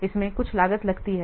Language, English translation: Hindi, So this may also add some cost